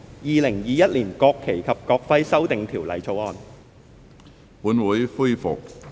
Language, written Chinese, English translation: Cantonese, 《2021年國旗及國徽條例草案》。, National Flag and National Emblem Amendment Bill 2021